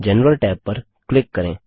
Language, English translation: Hindi, Click on the General tab